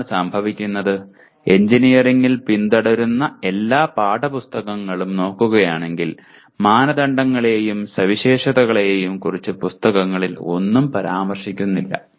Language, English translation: Malayalam, What happens if you look at all the text books that are followed in engineering we hardly the books hardly mention anything about criteria and specification